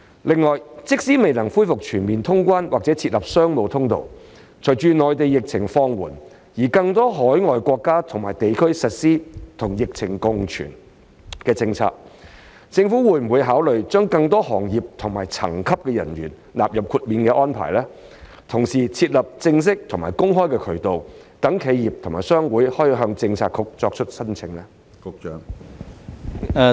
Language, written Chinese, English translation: Cantonese, 另外，即使未能恢復全面通關或設立商務通道，隨着內地疫情放緩，以及更多海外國家及地區實施與疫情共存的政策，政府會否考慮將更多行業及層級的人員納入豁免安排，同時設立正式及公開的渠道，讓企業及商會可以向政策局作出申請？, Moreover even though it is not yet possible to fully resume traveller clearance and establish a business channel as the epidemic is easing in the Mainland and more overseas countries and regions are implementing the policy of coexistence with the epidemic will the Government consider including personnel from more industries and of more levels in the exemption arrangement and at the same time establishing an official and open channel for enterprises and trade associations to file applications to the Policy Bureau?